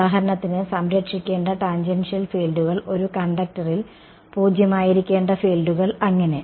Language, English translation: Malayalam, For example, tangential fields to be conserved, fields to be zero on a conductor and so on ok